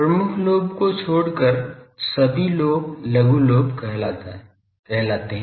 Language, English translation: Hindi, Any lobe except major lobe are called minor lobe